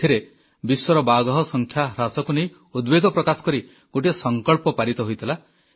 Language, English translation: Odia, At this summit, a resolution was taken expressing concern about the dwindling tiger population in the world